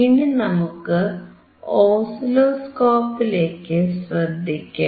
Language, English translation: Malayalam, This is the probe that we connect to the oscilloscope